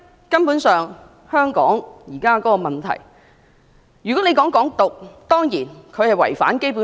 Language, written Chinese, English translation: Cantonese, 根本上，就香港現時面對的問題，"港獨"當然違反《基本法》。, About the problems that Hong Kong is facing Hong Kong independence definitely violates the Basic Law